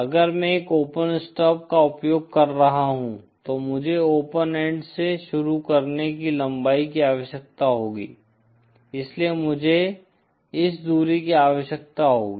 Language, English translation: Hindi, If I am using an open stub then I would need a length of starting from the open end so then I would need this distance